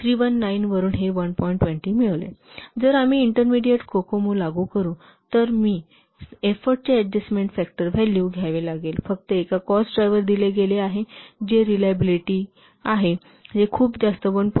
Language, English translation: Marathi, And if we'll apply intermediate Kokomo, I have to take the value of the effort adjustment factor, since only one cost effort is given that is reliability, which is equal to 1